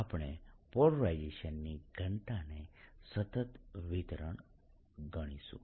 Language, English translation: Gujarati, that's the polarization density